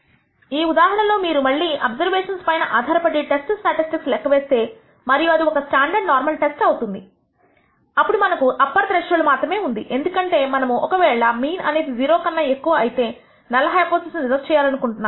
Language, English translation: Telugu, In this case let us assume that you again have computed a test statistic based on the observations and that is a standard normal test , then we only have an upper threshold, because we want to reject the null hypothesis only if the mean is greater than 0